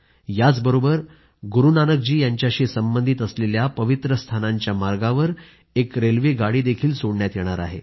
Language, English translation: Marathi, Besides, a train will be run on a route joining all the holy places connected with Guru Nanak Dev ji